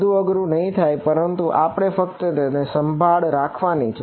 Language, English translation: Gujarati, Not very hard, but we just have to keep taking care of it